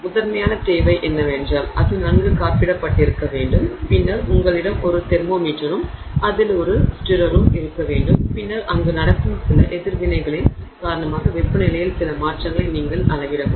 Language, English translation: Tamil, The primary requirement being that it has to be well insulated and then you have a thermometer in it and a stutter in it and then you can measure some changes in temperature due to some reaction that is happening there